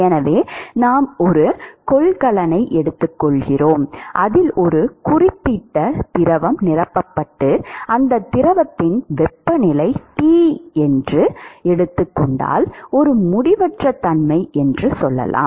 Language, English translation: Tamil, So, supposing we take a container, which is filled with a certain fluid and let us say that the temperature of the fluid is Tinfinity it is filled at some temperature